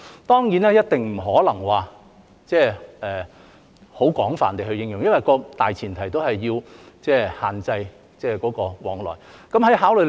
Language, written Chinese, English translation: Cantonese, 當然，一定不可能很廣泛地應用，因為大前提始終是要限制往來。, Of course the exemptions must not be widely applied because the premise is to restrict the movement of people